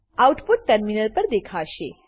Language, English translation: Gujarati, The following output is displayed on the terminal